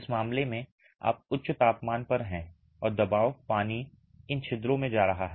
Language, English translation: Hindi, In this case you are under high temperatures and pressure water is going into these pores